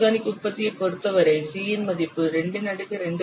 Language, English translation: Tamil, For organic product, the value of c is 2 to the power 2